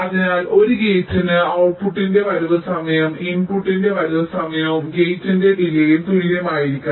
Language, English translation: Malayalam, so so for a gate, the arrival time of the output should be greater than equal to arrival time of the input plus the delay of the gate